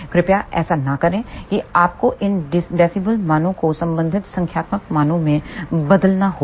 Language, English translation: Hindi, Please do not do that you have to convert these dB values into corresponding numeric values